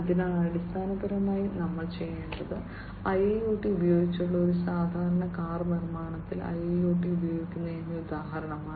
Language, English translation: Malayalam, So, essentially what we are doing is that this is the example of use of IIOT in a typical car manufacturing with IIoT